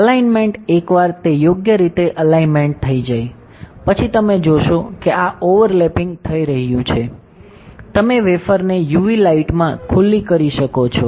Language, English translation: Gujarati, So, alignment once it is aligned correctly, then you will see that this is overlapping, you can expose the wafer to UV light